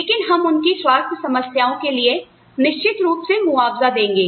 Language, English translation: Hindi, But, we will definitely compensate them, for health problems